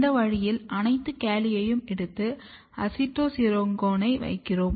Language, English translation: Tamil, In this way we take all the calli and put acetosyringone in it